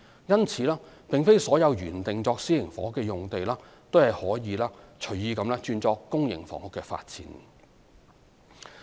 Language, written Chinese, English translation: Cantonese, 因此，並非所有原定作私營房屋的用地均可隨意改作公營房屋的發展。, Hence not all sites originally intended for private housing use could be arbitrarily reallocated for public housing development